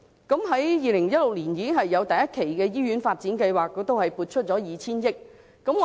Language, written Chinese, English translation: Cantonese, 在2016年已有第一期的醫院發展計劃，當時亦為此撥出 2,000 億元。, In 2016 the first phase of development plan for hospitals was already introduced with 200 billion being provided for the purpose at the time